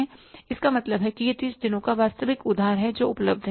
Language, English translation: Hindi, So, it means it's actual credit of 30 days which is available